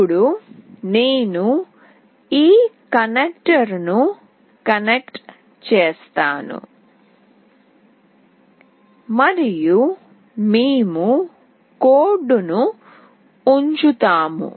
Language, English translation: Telugu, Now I will be connecting this connector and we will be putting up the code